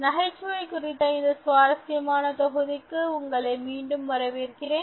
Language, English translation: Tamil, I welcome you back to this very interesting module on humour